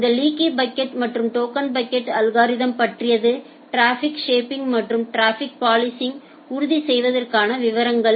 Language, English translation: Tamil, So, this is all about leaky bucket and the token bucket algorithm in details for ensuring traffic shaping and traffic policing